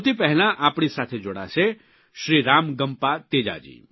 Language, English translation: Gujarati, to join us is Shri RamagampaTeja Ji